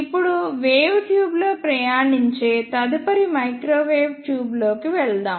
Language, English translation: Telugu, ow, let us move onto the next microwave tube which is travelling wave tube